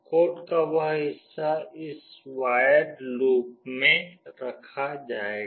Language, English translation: Hindi, That part of the code will be put in this void loop phase